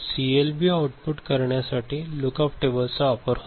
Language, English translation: Marathi, CLB uses Look Up Tables to generate output